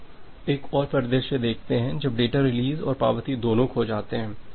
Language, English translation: Hindi, Now, let us see another scenario when both the data release and the acknowledgement are lost